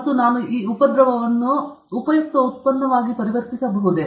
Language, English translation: Kannada, And, can I convert the nuisance into a useful product